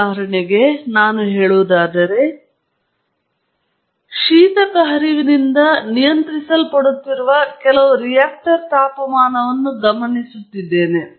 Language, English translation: Kannada, As an example, let us say, I am observing some reactor temperature which is being controlled by coolant flow